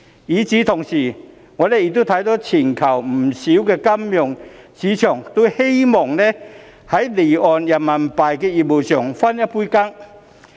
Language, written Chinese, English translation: Cantonese, 與此同時，我們亦看到全球不少金融市場都希望在離岸人民幣業務中分一杯羹。, At the same time we can also see that many financial markets around the world want a share in offshore RMB business